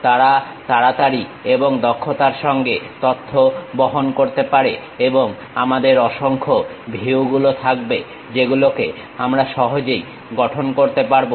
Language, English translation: Bengali, They can be quickly and efficiently convey information and we will have multiple views also we can easily construct